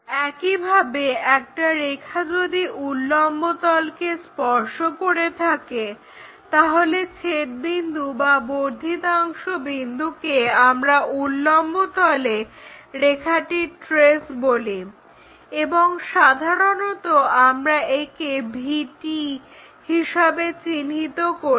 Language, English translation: Bengali, Similarly, if a line is touching the vertical plane the intersection point either that or the extension point that is what we call trace of a line on vertical plane, and usually we denote it by VP VT